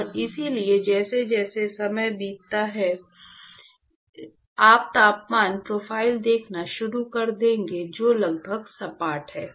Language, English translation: Hindi, And so, as time goes by, so you will start seeing temperature profiles which are almost flat inside